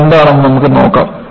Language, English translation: Malayalam, We will look at, what those striations are